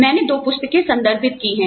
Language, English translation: Hindi, I have referred to, two books